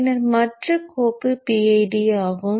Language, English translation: Tamil, And then the other file is the PID